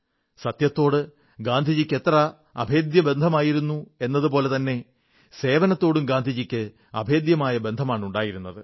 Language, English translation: Malayalam, Gandhiji shared an unbreakable bond with truth; he shared a similar unique bond with the spirit of service